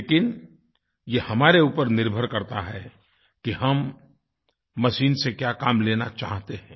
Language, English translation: Hindi, It entirely depends on us what task we want it to perform